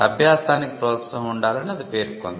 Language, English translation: Telugu, It stated that there has to be encouragement of learning